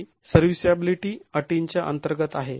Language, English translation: Marathi, This is under serviceability conditions